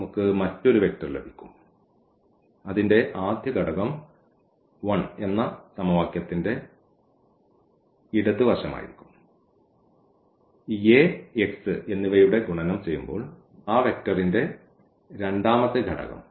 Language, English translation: Malayalam, So, we will get another vector whose first component will be this left hand side of the equation 1; the second component of that vector when we do multiplication of this Ax A and x